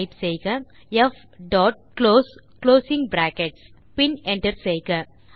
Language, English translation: Tamil, Then type f dot close closing brackets and hit Enter